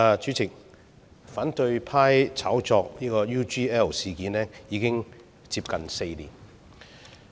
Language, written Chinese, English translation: Cantonese, 主席，反對派炒作 UGL 事件已經接近4年。, President the opposition has been hyping up the UGL incident for almost four years